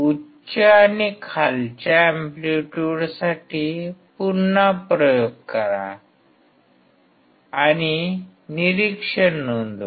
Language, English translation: Marathi, Repeat the experiment for higher and lower amplitudes and note down the observation